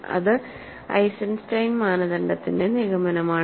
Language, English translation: Malayalam, This is the conclusion of the Eisenstein criterion